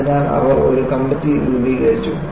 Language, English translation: Malayalam, So, they formulated a committee